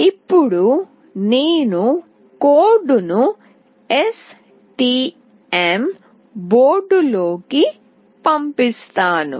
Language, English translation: Telugu, Now I will dump the code into the STM board